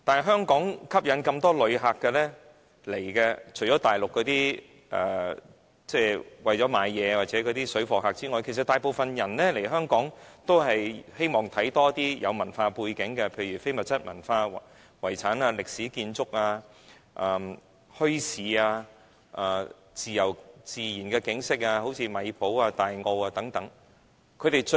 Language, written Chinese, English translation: Cantonese, 香港能夠吸引旅客來港，除了大陸那些為了購物的旅客及水貨客之外，其他大部分人來港，都希望觀賞一些非物質文化遺產、歷史建築、墟市、自然景色如米埔、大澳等。, Regarding Hong Kongs attractions to visitors apart from those Mainland visitors who come to Hong Kong for shopping or engaging in parallel goods trading other visitors come to Hong Kong for our intangible cultural heritage historic buildings bazaars the natural landscape in Tai O and Mai Po and so on